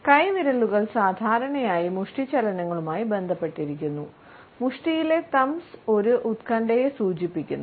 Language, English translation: Malayalam, Thumbs are normally associated with the fist movements and thumbs in fist indicates an anxiety